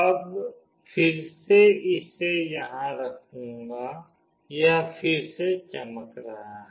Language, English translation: Hindi, Now again I will put it up here, it is again glowing